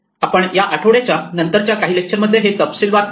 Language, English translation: Marathi, So, we will look at this in more detail in this weeks' lectures